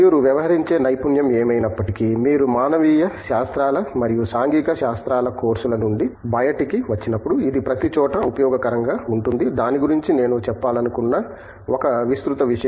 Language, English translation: Telugu, Whatever expertise you deal, you gain out of the courses in humanities and social sciences is going to be useful everywhere thatÕs one broad thing which I wanted to say about that